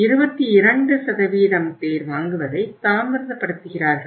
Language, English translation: Tamil, Then 22% people delay purchase